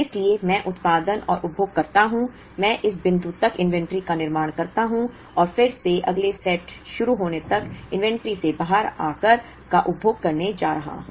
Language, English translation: Hindi, So, I produce and consume, I buildup inventory up to this point and then I am going to consume out of the inventory till I begin the next set